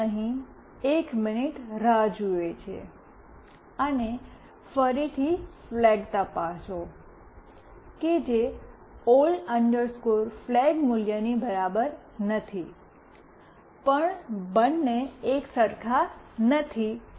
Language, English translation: Gujarati, We wait for one minute, and again check flag not equal to old flag value, but no both are same